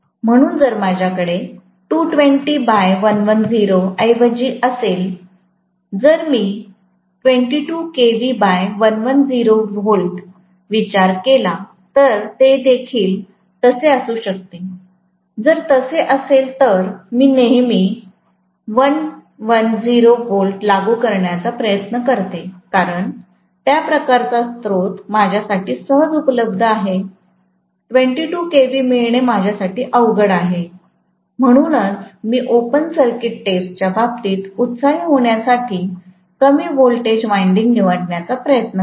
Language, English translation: Marathi, So if I am having instead of 220 by 110, if I think of 22 kV divided by 110 volts, even it can be like that, if it is that way, then invariably I will try to apply 110 volts because that kind of source is easily available for me, 22 kV will be difficult for me to get, so always I will try to choose the low voltage winding to be energised in the case of you know the open circuit test because I am looking at applying rated voltage